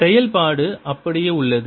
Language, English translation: Tamil, the function has remain the same